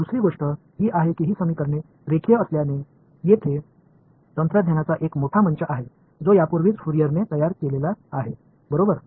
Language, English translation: Marathi, The other thing is that these equations being linear there is a large set of techniques which have already been built by Fourier right